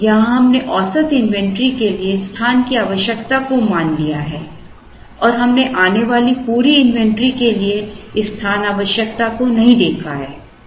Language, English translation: Hindi, Now, here we have assumed the space requirement for the average inventory and we have not looked at this space requirement for the entire inventory that arrives